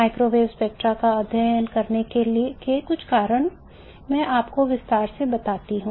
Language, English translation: Hindi, Some of the reasons for why we have to study microwave spectra, let me give you in detail